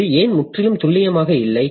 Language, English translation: Tamil, So, why is this not completely accurate